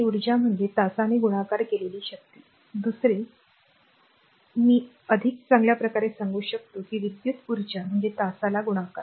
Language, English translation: Marathi, That energy is power multiplied by hour, another I can put in better way that electrical energy is power multiplied by hour right